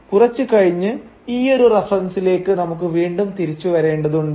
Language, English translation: Malayalam, And we will have to return back to this reference later on